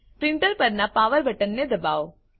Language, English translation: Gujarati, Switch on the power button on the printer